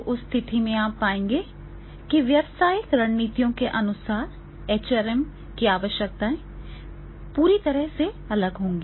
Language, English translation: Hindi, So, in that case you will find that is the HRM requirements will be totally different